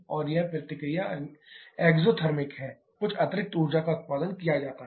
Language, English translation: Hindi, And that reaction is exothermic some add additional energy is produced